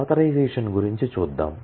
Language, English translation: Telugu, Let us move to authorization